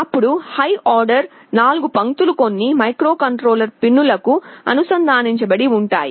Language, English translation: Telugu, Then the high order 4 lines are connected to some microcontroller pins